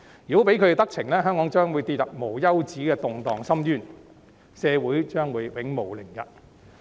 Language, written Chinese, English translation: Cantonese, 如果讓他們得逞，香港將會跌入無休止動盪的深淵，社會將會永無寧日。, If they succeed Hong Kong will plunge into an abyss of endless turmoil and the community will never have a moment of peace